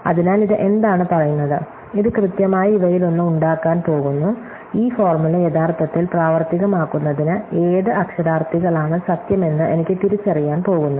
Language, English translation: Malayalam, So, what this is saying is this is going to make exactly one of these things, it is going to identify for me which of the literals true in order to make this formula actually work out with